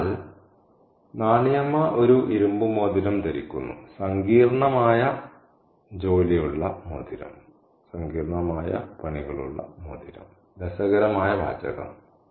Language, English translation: Malayalam, So, Nanima is wearing an iron ring, a ring with intricate work on it, interesting phrase